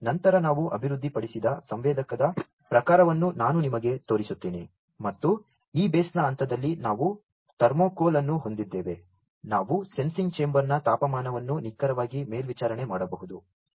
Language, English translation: Kannada, And later I will show you the type of sensor that we developed and just at the point of this base we have a thermocouple, we can precisely monitor the temperature of the sensing chamber itself